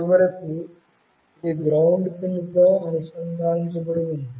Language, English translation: Telugu, And finally, this one is connected to the ground pin